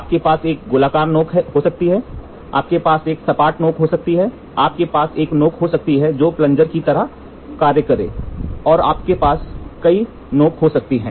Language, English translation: Hindi, You can have a circular tip, you can have a flat tip, you can have a tip which is like invert like a plunger, you can have multiple tips